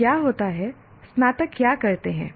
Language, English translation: Hindi, So what happens, what do the graduates do